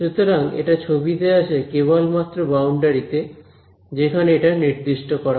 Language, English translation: Bengali, So, it comes in the picture only on the boundary where a normally has been defined